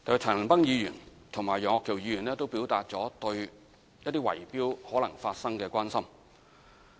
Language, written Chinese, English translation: Cantonese, 陳恒鑌議員和楊岳橋議員也表達了對維修可能發生圍標的關心。, Mr CHAN Han - pan and Mr Alvin YEUNG have expressed their concern over tender rigging in relation to renovation projects